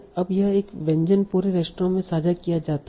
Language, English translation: Hindi, Now this dish is shared throughout the restaurants